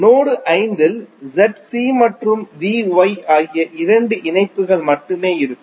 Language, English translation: Tamil, Node 5 will have only two connections that is Z C and V Y